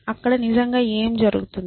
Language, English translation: Telugu, What is really out there